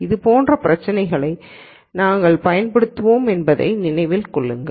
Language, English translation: Tamil, Just to keep in mind that there would we use problems like this